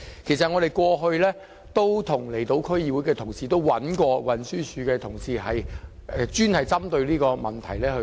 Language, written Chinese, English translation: Cantonese, 其實，我們過去曾與離島區議會的同事及運輸署人員探討這個問題。, In fact we have discussed this issue with members of the Islands District Council and TDs officers before